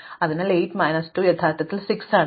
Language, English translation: Malayalam, So, 8 minus 2 is actually 6